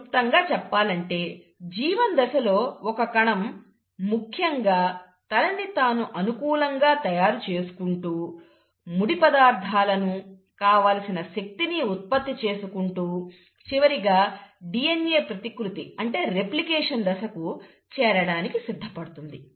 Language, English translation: Telugu, So, in G1 phase, the cell is essentially preparing itself, generating raw materials, generating energy, and, so that now the cell is ready to move on to the phase of DNA replication